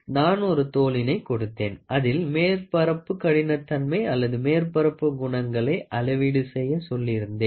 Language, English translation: Tamil, I give you a skin try to measure the surface roughness or measure the surface properties of the skin